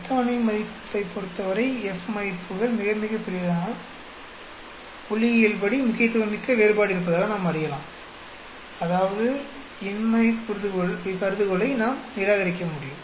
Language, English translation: Tamil, If the F values become very large with respect to the table value, then we can say that there is a statistically significant difference; that means, we will be able to reject null hypothesis